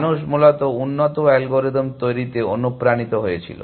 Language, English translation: Bengali, People were set of motivated into devising better algorithms essentially